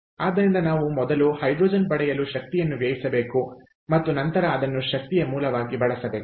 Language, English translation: Kannada, so we have to spend energy first to get hydrogen and then use it as an energy source